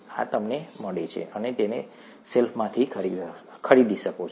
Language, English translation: Gujarati, This you get, you can buy it off the shelf